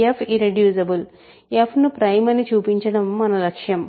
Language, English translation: Telugu, f is irreducible, we want to show that f is prime that is the goal